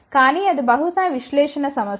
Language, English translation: Telugu, But that is probably an analysis problem